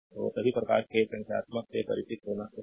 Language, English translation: Hindi, So, you should you should be familiar with all sort of numericals